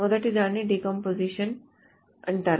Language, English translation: Telugu, First one is called a decomposition